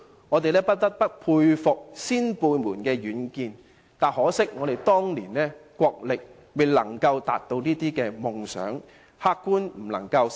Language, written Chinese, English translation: Cantonese, 我們不得不佩服先輩們的遠見，只可惜憑當年的國力，並未能實現這些夢想。, We are profoundly impressed by our predecessors foresight indeed . What a regret that all these dreams did not come true eventually due to inadequate national strength in those days!